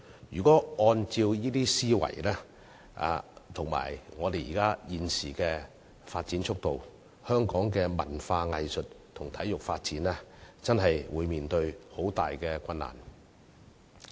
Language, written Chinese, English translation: Cantonese, 如果按照這些思維及香港現時的發展速度，香港的文化藝術及體育發展將會面對很大困難。, Given this mindset and the existing pace of development in Hong Kong the cultural arts and sports development in Hong Kong will face great difficulties